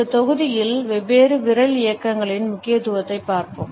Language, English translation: Tamil, In this module, we would look at the significance of different Finger Movements